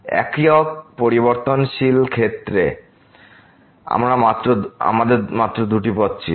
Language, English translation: Bengali, While in the case of single variable, we had only two paths